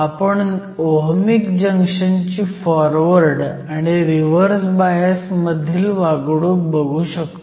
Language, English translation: Marathi, We can look at the behavior of an Ohmic Junction, in the case of a Forward or a Reverse bias